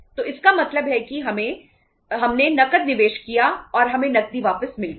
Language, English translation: Hindi, So it means we invested cash and we got the cash back